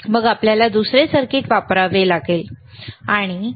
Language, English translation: Marathi, Then we have to use another equip another circuit, right